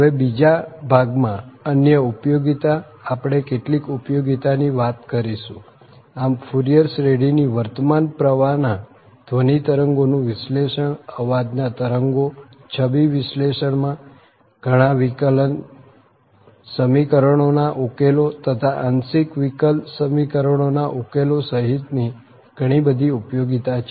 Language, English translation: Gujarati, So, and the second portion the other applications so we will be also talking about some applications so the Fourier series has several applications including this analysis of this current flow sound waves, in image analysis, and solution of many differential equations including partial differential equations etc